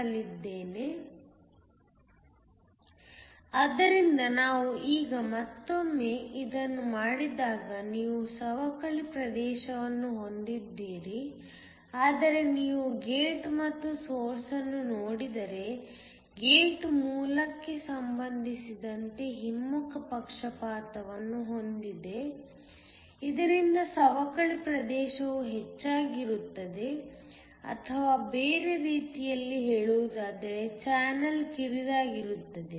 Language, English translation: Kannada, So, When we do this now again you have a depletion region, but if you look at the gate and the source, the gate is reverse biased with respect to the source so that the depletion region is higher or in other words the channel is narrower